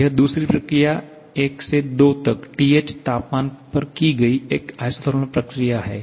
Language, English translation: Hindi, This second process 1 to 2 is an isothermal process performed at the temperature TH